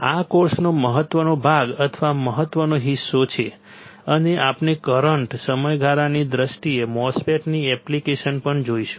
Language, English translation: Gujarati, This is the important part or important chunk of the course, and we will also see an application of the MOSFET in terms of current period